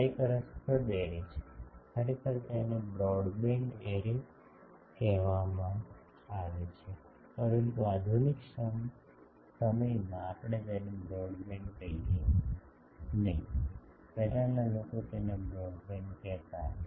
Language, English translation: Gujarati, This is a interesting array, actually it is called broadband array, but in modern times we do not call it broadband, earlier people use to call it broadband